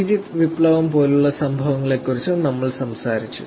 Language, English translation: Malayalam, We also talked about incidences like these incidences, like Egypt revolution